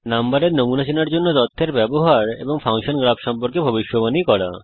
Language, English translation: Bengali, Use the data to recognize number patterns and make predictions about a function graph